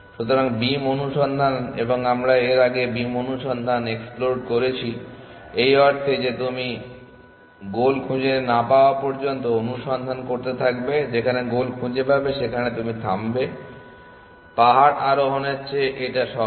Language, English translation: Bengali, So, beam search and we have explode beam search earlier is the variation of beam search in the sense that you keep searching till you find the goal rather than hill climbing like beam search where you stop